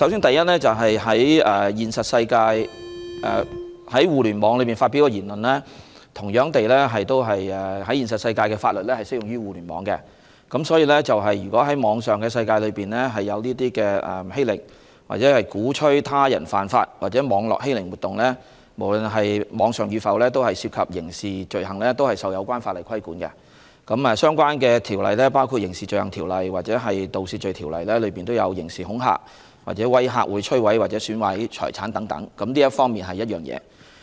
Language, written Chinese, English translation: Cantonese, 第一，現實世界的法律同樣適用於在互聯網上發表的言論，所以，如果在網絡世界出現欺凌或鼓吹他人犯法等所謂網絡欺凌的活動，無論是否在網上發表，均涉及刑事罪行，同樣受到有關法律規管，包括觸犯《刑事罪行條例》或《盜竊罪條例》中的刑事恐嚇或威嚇會摧毀或損壞他人財產等罪行，這是第一點。, First laws in the real world are applicable to remarks published on the Internet . Hence those so - called cyber - bullying activities such as acts involving bullying or inciting others to break the law are regarded as criminal offences and regulated by the relevant laws regardless of whether they are committed online . These include acts of criminal intimidation or blackmail which destroy or damage property of others under the Crimes Ordinance or the Theft Ordinance